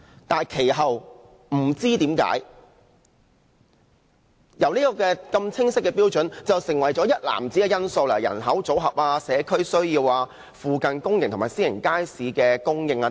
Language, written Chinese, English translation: Cantonese, 然而，其後不知何故，這些清晰的標準變成了一籃子因素，包括人口組合、社區需要、附近公營及私營街市設施的供應等。, Nevertheless for reasons unknown this clear standard has been incorporated into a basket of factors to be considered including the demographic mix community needs provision of both public and private market facilities nearby and so on